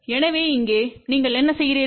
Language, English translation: Tamil, So, here what you do